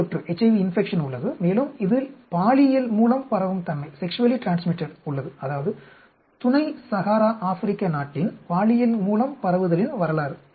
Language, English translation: Tamil, So, there is a HIV infection, and there is a sexually transmitted in this; that is, the history of sexual transmission in Sub Saharan African Country